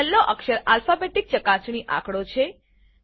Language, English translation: Gujarati, The last character is an alphabetic check digit